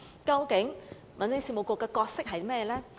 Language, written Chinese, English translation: Cantonese, 究竟民政事務局的角色是甚麼呢？, What is the role of the Home Affairs Bureau?